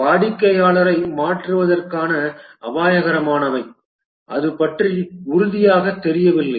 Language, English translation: Tamil, Those are riskier, likely to change the customer is not sure about it